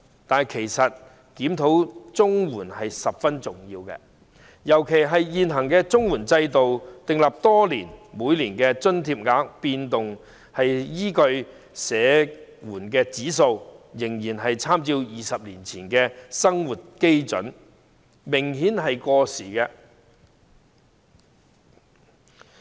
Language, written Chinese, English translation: Cantonese, 但其實，檢討綜援計劃十分重要，尤其是現行制度已訂立多年，每年調整津貼額所依據的社會保障援助物價指數仍參照20年前的生活基準，做法明顯過時。, Yet actually a review of the CSSA Scheme is crucially important especially since the existing system has been established for years but the Social Security Assistance Index of Prices serving as the basis for annual adjustment to payment rates still draws reference from the living standard 20 years ago . The approach is obviously outdated